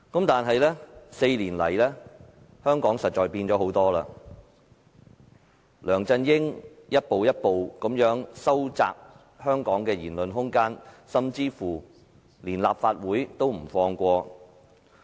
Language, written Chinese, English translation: Cantonese, 但是，這4年來，香港實在變了太多，梁振英一步一步收窄香港的言論空間，就連立法會也不放過。, However much in Hong Kong has changed over these four years as LEUNG Chun - ying has shrunk the room for speech in Hong Kong step by step . Even the Legislative Council is not spared